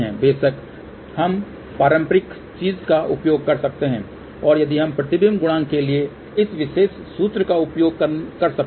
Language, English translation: Hindi, Of course, we can use the conventional thing and that is we can use this particular formula for reflection coefficient